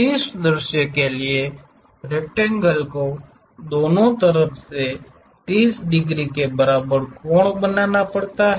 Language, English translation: Hindi, For the top view the rectangle has to make 30 degrees equal angles on both sides